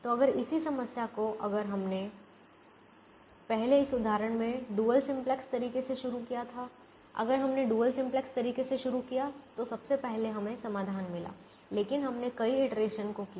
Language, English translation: Hindi, so if the same problem, if we had started the dual simplex way first in this example, if we started the dual simplex way first, we got the solution, but we did more iterations when we did a simple way